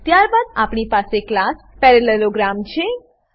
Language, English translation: Gujarati, Then we have a class parallelogram This is the base class